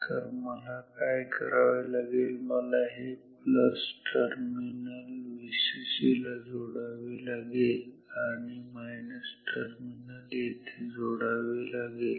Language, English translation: Marathi, So, what I have to do then, I have to connect the plus terminal to the V c c and the minus terminal here